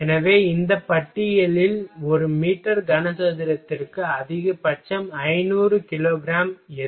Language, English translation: Tamil, So, in this list what is the maximum 500 kilo gram per meter cube